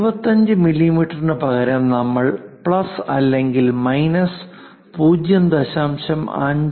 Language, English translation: Malayalam, Instead of 25 mm if we have plus or minus 0